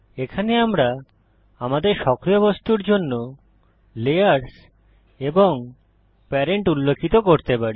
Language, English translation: Bengali, Here we can specify the layer and parent for our active object